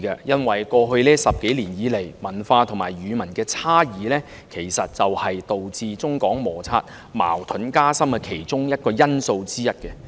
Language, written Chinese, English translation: Cantonese, 因為在過去10多年來，文化和語文差異其實是導致中港摩擦，矛盾加深的其中一個因素。, Over the past 10 - odd years the cultural and language variations are in fact one of the factors leading to intensified clashes and conflicts between Mainlanders and Hong Kong people